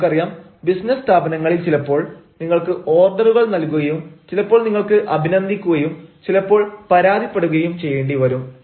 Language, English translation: Malayalam, you know, in in business organizations, sometimes you have to order, sometimes, ah, you also have to appreciate and sometimes you have to complaint